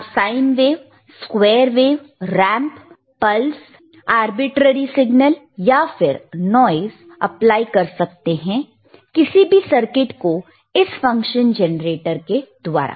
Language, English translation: Hindi, yYou can apply sine wave or square wave or ramp or pulse or arbitrary signal or noise to a circuit using this function generator, right